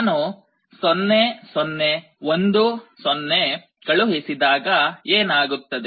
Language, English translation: Kannada, So, what happens when I apply 0 0 1 0